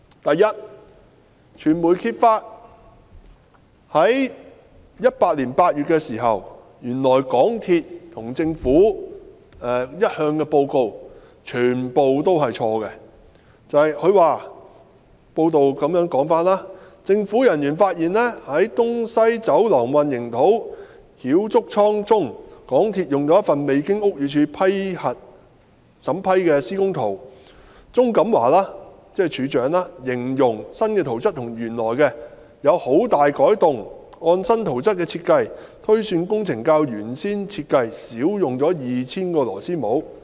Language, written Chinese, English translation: Cantonese, 第一，傳媒在2018年8月時揭發，原來港鐵公司和政府一直以來的報告全部是錯的，報道指政府人員發現，在"東西走廊混凝土澆築倉"中，港鐵公司使用了一份未經屋宇署審批的施工圖，路政署署長鍾錦華形容新圖則與原來的圖則有很大改動，按新圖則的設計，推算工程較原先設計少用了 2,000 個螺絲帽。, First in August 2018 the media exposed that the reports of MTRCL and the Government were incorrect all along . According to reports government officers discovered that MTRCL had used a construction drawing which had not been approved by the Buildings Department BD for the concrete pours of East West Corridor . According to the Director of Highways the new drawing includes some major alterations to the original drawing where the design in the new drawing is estimated to have reduced the number of couplers used in the original design by 2 000